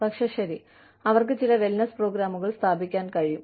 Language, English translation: Malayalam, They can institute, some wellness programs